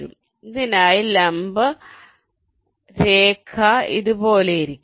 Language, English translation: Malayalam, so on this, the perpendicular line will be like this